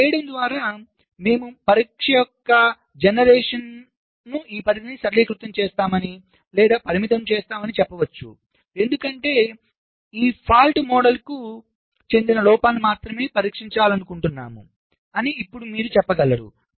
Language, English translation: Telugu, by doing this we can say, simplifies or limit this scope of test generation, because now you can say that want to test only faults that belong to this fault model